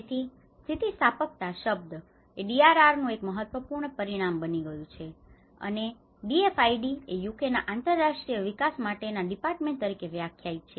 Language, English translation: Gujarati, So the word resilience has become an important dimension of the DRR and this is what the DFID defines as the department for international development of UK